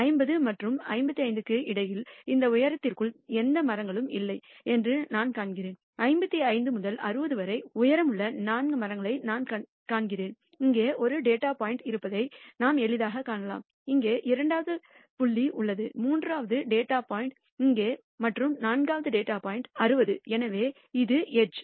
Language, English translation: Tamil, And I find between 50 and 55 there are no trees within that height, we find 4 trees with the height between 55 and 60 which we can easily see there is one data point here, there is second data point here, there is a third data point here and fourth data point is 60; so, the edge